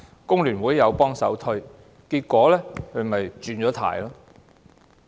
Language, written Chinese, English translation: Cantonese, 工聯會也幫忙推銷，結果她"轉軚"。, FTU also pitched in to help promote it but she ended up making a volte - face